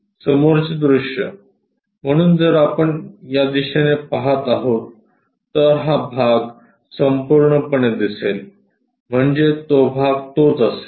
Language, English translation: Marathi, The front view, so if we are observing in this direction, this part entirely will be visible, so that part will be that